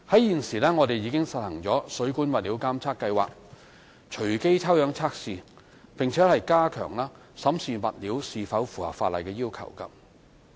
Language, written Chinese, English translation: Cantonese, 現時，我們已實行水管物料監察計劃，隨機抽樣測試，並加強審視物料是否符合法例要求。, Currently we have a surveillance programme in place to spot check and strengthen the examination of plumbing materials for statutory conformity